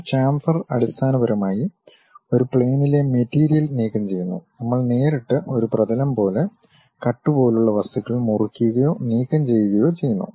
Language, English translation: Malayalam, Chamfer is basically removing material on a plane, we do not round it off, but we straight away chop or remove that material like a plane, a cut